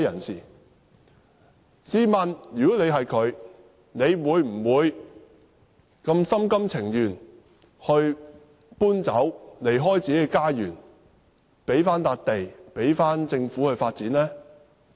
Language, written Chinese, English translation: Cantonese, 試問他們會否心甘情願遷離自己的家園，把土地交回政府發展？, Will these people be willing to leave their homes and return the land to the Government for development?